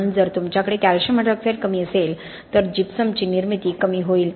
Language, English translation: Marathi, So if you have lesser calcium hydroxide there will be lesser gypsum formation